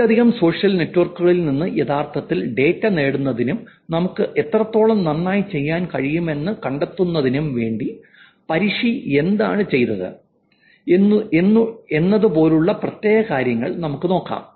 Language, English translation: Malayalam, Now let's just look at specific things what Faddi did in terms of actually getting the data from multiple social networks and finding out how much we can actually do well